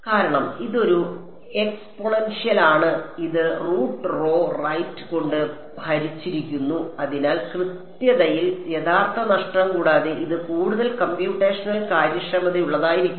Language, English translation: Malayalam, Because, this is an exponential and it is divided by root rho right; so, this is going to be much more computationally efficient without any real loss in accuracy